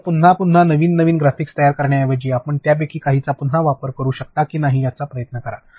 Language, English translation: Marathi, So, instead of creating graphics new new graphics again and again and again you try and see if you can reuse some of them